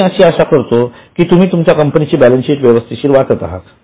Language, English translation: Marathi, I am hoping that you are properly reading the balance sheet of your company